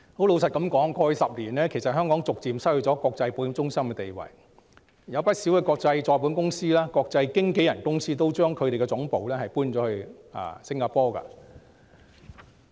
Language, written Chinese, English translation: Cantonese, 老實說，過去10年，香港逐漸失去國際保險中心的地位，不少國際再保險公司和國際經紀人公司也將其總部遷往新加坡。, Honestly over the past 10 years Hong Kong has gradually lost its status as an international insurance centre . Many international reinsurers and international brokerage companies have moved their headquarters to Singapore